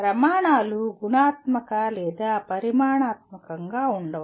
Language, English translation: Telugu, The standards may be either qualitative or quantitative